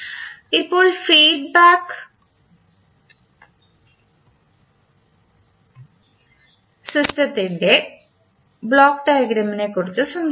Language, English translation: Malayalam, Now, let us talk about the block diagram of the feedback system